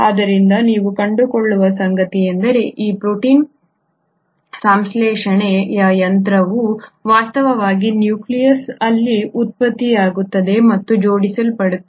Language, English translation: Kannada, So what you find is that this protein synthesising machinery is actually produced and assembled in the nucleolus